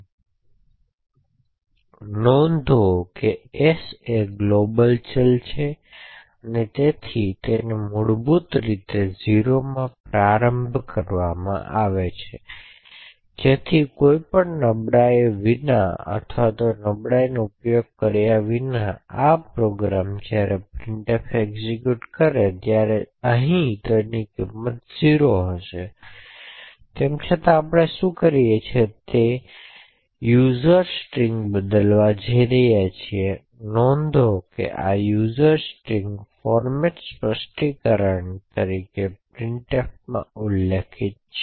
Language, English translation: Gujarati, So note that s is a global variable so therefore it by default would be initialized to 0 so without any vulnerabilities or without exploiting the vulnerability this program when this printf executes would print as to be equal to 0 here however what we will do is that we are going to change the user string and note that this user string is specified as a format specifier in printf